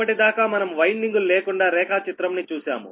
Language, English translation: Telugu, right now, so far we have shown that schematic diagram without the windings